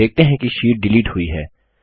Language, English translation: Hindi, You see that the sheet gets deleted